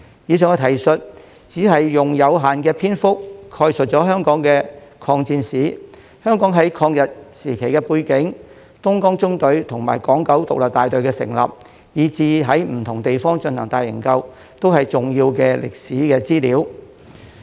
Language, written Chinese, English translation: Cantonese, 以上的提述只是用有限的篇幅概述香港的抗戰史、香港在抗日時期的背景、東江縱隊與港九獨立大隊的成立，以至在不同地方進行的大營救，都是重要的歷史資料。, The above account only provides a limited overview of the history of the War of Resistance in Hong Kong the background of Hong Kongs resistance against Japanese aggression the establishment of the Dongjiang Column and the Hong Kong Independent Battalion and their rescue missions in different locations . These are all important historical records